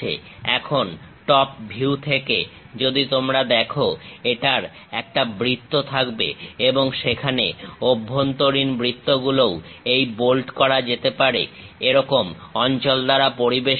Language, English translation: Bengali, Now, from top view if you are looking at; it will be having a circle and there are inner circles also surrounded by this small bolted kind of portions